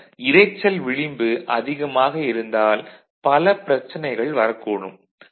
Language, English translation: Tamil, So, if you have more noise margin then there will be more such issues right